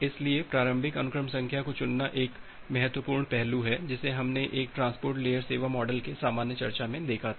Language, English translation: Hindi, So, choosing the initial sequence number is an important aspect that we have looked into a generic discussion of a transport layer service models